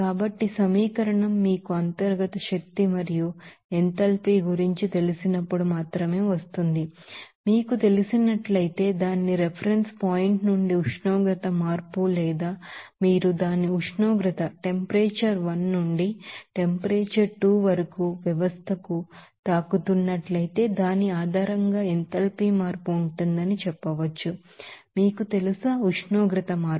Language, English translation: Telugu, So, the equation will be coming as only in terms of you know internal energy and enthalpy there and if there is a you know, temperature change from its reference point or if you are hitting the system from its temperature 1 to temperature 2, we can say that there will be a enthalpy change based on that, you know, temperature change